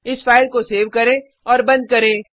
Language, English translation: Hindi, Now let us save this file and close it